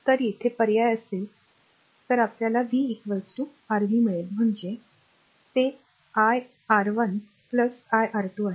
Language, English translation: Marathi, So, here you substitute, then you will get v is equal to your ah v it is ah it is iR 1 plus iR 2